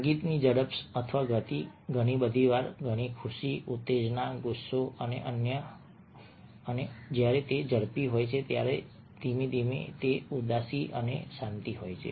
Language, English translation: Gujarati, speed or phase of music: a very often communicates happiness, excitement, angers i have when it is fast and when it is slow, sadness and serenity